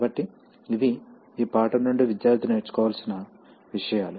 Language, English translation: Telugu, So these are the topics that the student is expected to learn from this lesson